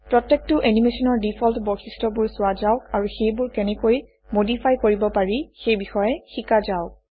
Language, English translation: Assamese, Lets look at the default properties for each animation and learn how to modify them